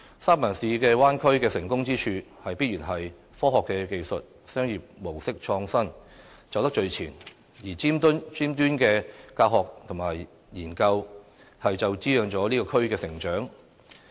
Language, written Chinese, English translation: Cantonese, 三藩市灣區的成功之處，必然是科學技術、商業模式創新，走得最前；而頂尖的教學與研究，便滋養了這個區的成長。, The San Francisco Bay Area is successful because it is at the forefront in the areas of science and technology and the innovative commercial model . The distinguished teaching and research also fosters the growth of the area